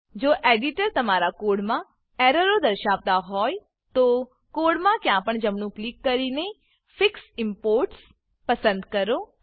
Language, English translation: Gujarati, If the editor reports errors in your code, right click anywhere in the code and select Fix Imports